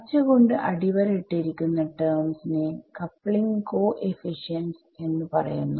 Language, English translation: Malayalam, The terms underlined in green, so they are all the coupling we call them the coupling coefficients